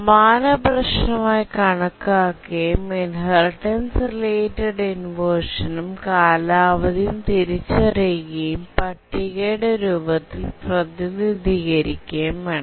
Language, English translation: Malayalam, We'll consider the same problem and we'll now try to identify the inheritance related inversion and the duration and we'll represent in the form of a table